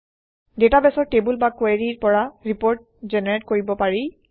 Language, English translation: Assamese, Reports can be generated from the databases tables or queries